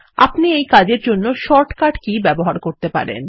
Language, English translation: Bengali, You can use the short cut keys for this purpose